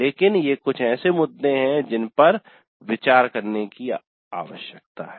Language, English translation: Hindi, Basically these are the issues that need to be addressed